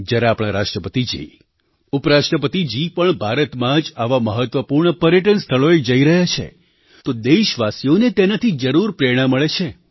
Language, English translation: Gujarati, When our Hon'ble President & Vice President are visiting such important tourist destinations in India, it is bound to inspire our countrymen